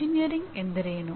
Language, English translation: Kannada, So that is what engineering is